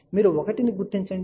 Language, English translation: Telugu, You locate 1